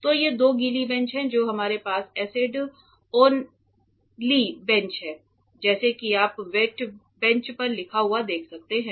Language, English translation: Hindi, So, these are two wet benches that we have this is acids only bench as you can see written on the wet bench